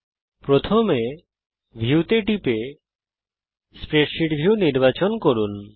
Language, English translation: Bengali, Select the menu item view, and Check the spreadsheet view